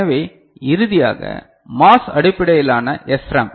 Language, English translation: Tamil, So, finally, MOS based SRAM ok